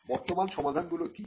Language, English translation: Bengali, What are the existing solutions